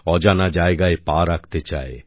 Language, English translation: Bengali, It wants to step on unknown territory